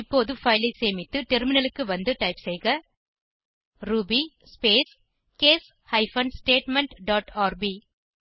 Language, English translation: Tamil, Now, save the file, switch to the terminal and type ruby space case hyphen statement dot rb